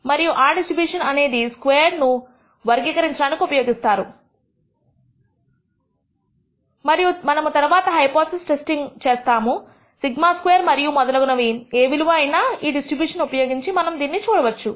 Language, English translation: Telugu, And that distribution can be used to characterize s squared and we can later on do hypothesis testing, whether the sigma squared is some value and so on, using these distributions we will see